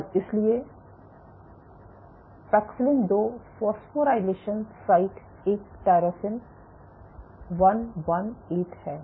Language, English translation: Hindi, And so paxillin has 2 phosphorylation sites a tyrosine 118